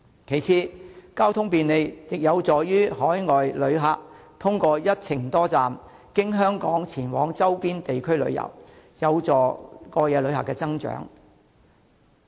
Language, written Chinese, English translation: Cantonese, 其次，交通便利亦有助海外旅客通過一程多站，經香港前往周邊地區旅遊，有助過夜旅客增長。, Besides transport convenience will enable overseas visitors to travel via Hong Kong to the nearby areas through multi - destination travel and this will facilitate the growth of overnight visitors